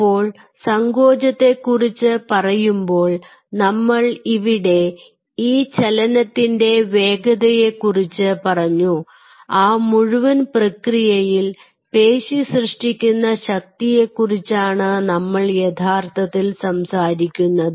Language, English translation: Malayalam, so when we talk about the contraction we talked about the speed of this movement we are essentially talking about the force being generated by the muscle in that whole process